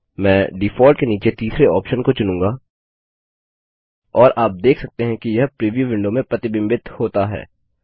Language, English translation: Hindi, I will choose the third option under Default and you can see that it is reflected in the preview window